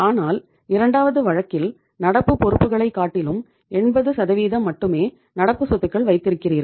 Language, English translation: Tamil, But in this second case you have kept as only your current assets are just 80% of your current liability